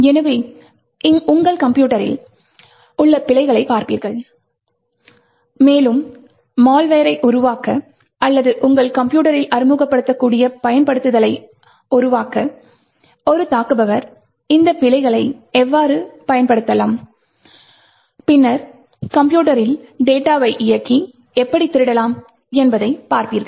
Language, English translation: Tamil, So, you will be looking at bugs in the system, and how an attacker could utilise these bugs to create malware or create exploits that could be introduced into your system and then could run and steal data in your system